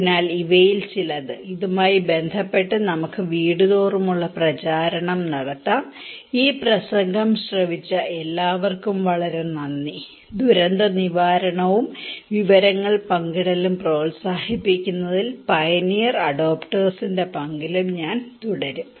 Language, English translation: Malayalam, So, these are some of the; also we can conduct some door to door campaign with this so, thank you very much for all listening this talk, I will continue in same on this and the role of pioneer adopters on promoting disaster preparedness and information sharing